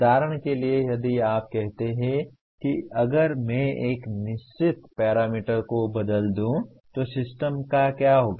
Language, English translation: Hindi, For example if you say if I change a certain parameter what happens to the system